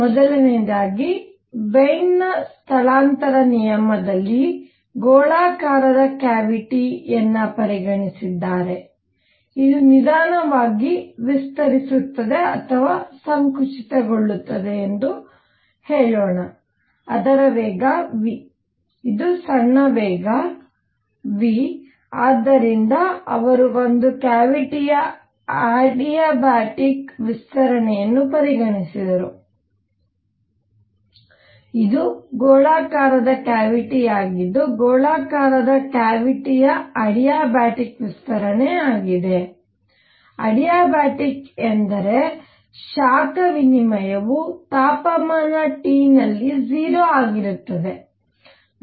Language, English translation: Kannada, So, first thing is Wien’s displacement law, for this he considered a spherical cavity which; let us say this expanding or contracting by a very slow; very small velocity v, it could be either way by small velocity v and so he considered adiabatic expansion of a cavity which is spherical cavity the adiabatic expansion of a spherical cavity; adiabatic means that will tuck you heat exchange was 0 at temperature T